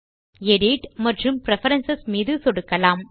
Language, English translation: Tamil, So we will click on Edit and Preferences